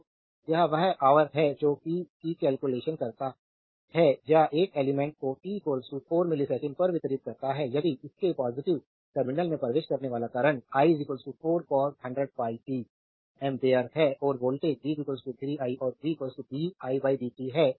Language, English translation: Hindi, So, the it is it is hours that compute the power delivered to an element at t is equal to 4 millisecond, if the current entering its positive terminal is i is equal to 4 cos 100 pi t ampere and the voltage is v is equal to 3 i and v is equal to 3 di dt right